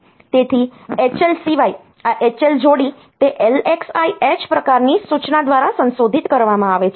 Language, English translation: Gujarati, So, apart from H L so, this H L pair is modified by that LXI H type of instruction